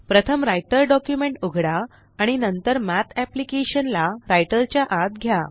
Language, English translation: Marathi, Let first open a Writer document and then call the Math application inside Writer